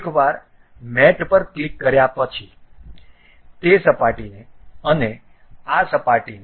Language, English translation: Gujarati, Once after clicking that mate this surface and this surface